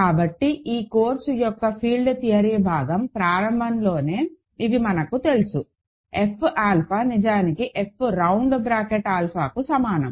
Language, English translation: Telugu, So, these from the very beginning of the field theory part of this course we know then, that F alpha is actually equal to F round bracket alpha